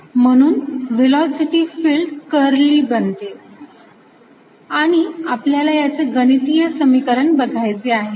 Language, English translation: Marathi, so the velocity field becomes curly and we want to give a precise mathematical definition